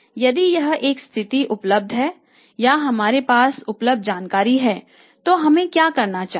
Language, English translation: Hindi, If this is the situation available or this is the information available with us then what should we do